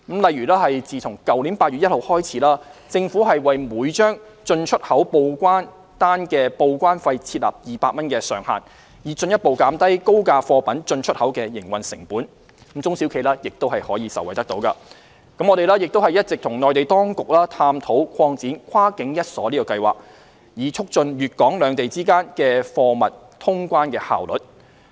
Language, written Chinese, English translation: Cantonese, 例如自去年8月1日起，政府為每張進出口報關單的報關費設立200元上限，以進一步減低高價貨品進出口的營運成本，中小企也可受惠；我們亦一直與內地當局探討擴展"跨境一鎖計劃"，以促進粵港兩地之間的貨物通關效率。, For example since 1 August last year the charge for each import and export declaration has been capped at 200 to further reduce the operating costs of the import and export of high - priced goods and SMEs will also be benefited . Moreover we have been exploring with the Mainland authorities the expansion of the Single E - lock Scheme to promote the efficiency of cargo clearance between Guangdong and Hong Kong